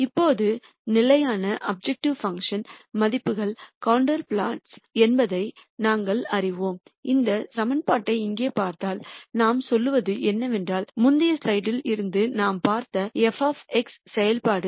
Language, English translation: Tamil, Now, we know that the constant objective function values are contour plots and if we look at this equation here what we are saying is that the function f of X which we saw from the previous slide